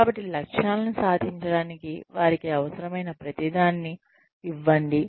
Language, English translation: Telugu, So, give them everything they need, in order to achieve the goals